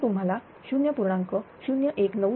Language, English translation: Marathi, So, you will get 0